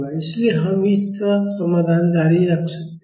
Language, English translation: Hindi, So, we can continue the solution like this